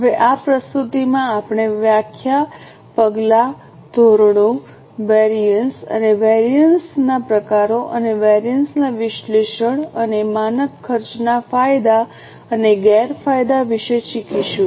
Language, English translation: Gujarati, Now, in this presentation we are going to learn about the definition, the steps, the types of standards, variances and the type of variances, analysis of variances and the advantages and disadvantages of standard costing